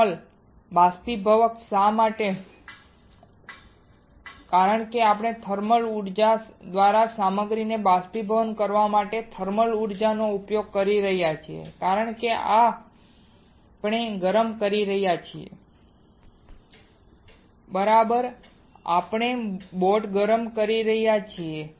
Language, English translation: Gujarati, Why thermal evaporator because we are using thermal energy to evaporate the material by thermal energy because we are heating Right we are heating the boat